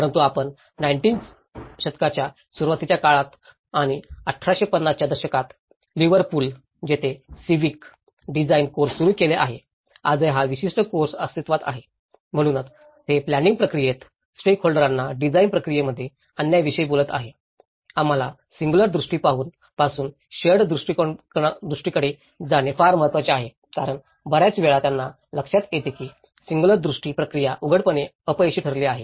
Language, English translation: Marathi, But you see way back in early 19th century and 1850ís, Liverpool which have started the Civic design courses, even today this particular course do exist, so that is where they talk about bringing the stakeholders into the design process in the planning process so, this is very important that we have to move from singular vision to a shared vision because many at times they notice that a singular vision process have failed apparently